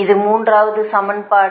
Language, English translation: Tamil, this is the third equation